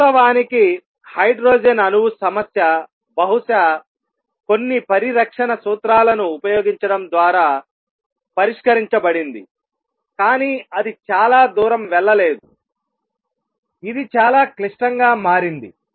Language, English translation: Telugu, In fact, the hydrogen atom problem was solved by probably using some conservation principles, but it did not go very far it became very complicated